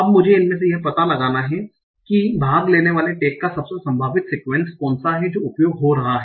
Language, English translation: Hindi, Now I have to find out among these which is the most likely sequence of part of speech tax that is being used